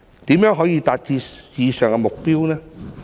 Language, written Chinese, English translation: Cantonese, 如何可以達致以上的目標呢？, How can we achieve the above mentioned goal?